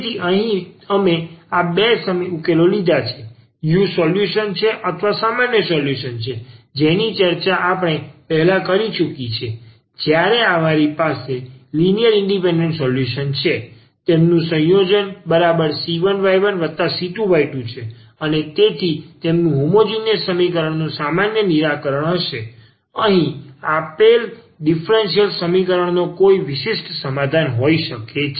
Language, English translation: Gujarati, So, here we have taken this two solutions the u is a solution or is the general solution which we have already discussed before when we have n linearly independent solution; their combination exactly c 1 y 1 plus c 2 y 2 and so on that will be their general solution of the homogeneous equation and here we have taken another function v be any particular solution of the given differential equation